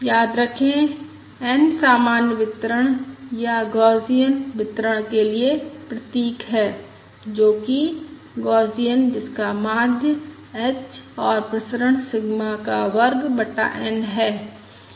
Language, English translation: Hindi, Remember, n is the symbol for the normal distribution or the Gaussian distribution, that is Gaussian with mean h and variance sigma square divided by n